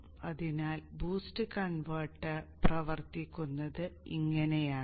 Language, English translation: Malayalam, So this is how the boost converter operates